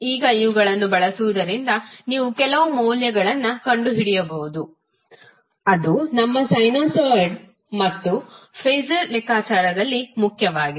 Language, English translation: Kannada, Now using these you can find out few values which are imported in our sinusoid as well as phaser calculation